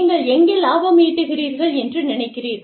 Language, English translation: Tamil, Where do you think, you are making profits